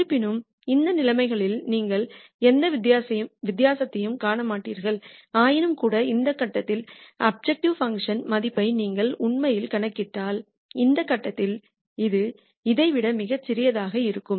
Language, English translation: Tamil, However, from just those conditions you will not see any difference, nonetheless if you actually compute the objective function value at this point and this point this will be much smaller than this